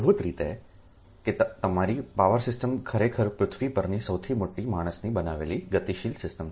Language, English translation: Gujarati, so basically that your power system actually is the largest man made, largest dynamic system on the earth